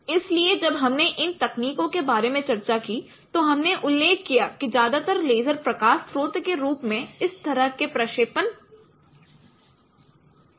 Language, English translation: Hindi, So when we discussed about this techniques we mentioned that mostly the light source what is used for this kind of projection is lasers